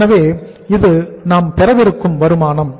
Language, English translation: Tamil, So this is the total income we are going to have